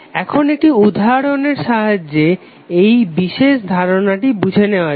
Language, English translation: Bengali, Now let us understand this particular aspect with the help of one example